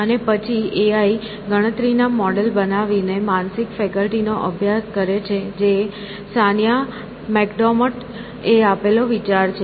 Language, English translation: Gujarati, And then, the AI, the study of mental faculties by creating computation models that is the idea given by Sania Macdomote